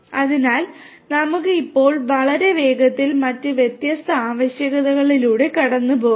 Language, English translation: Malayalam, So, let us now quickly very quickly let us go through the different other requirements